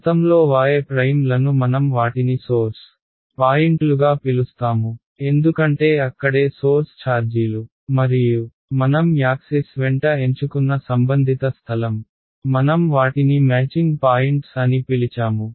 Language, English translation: Telugu, Previously the y primes we call them as source points because that is where the source charges and the corresponding place where I choose along the axis, I called them matching points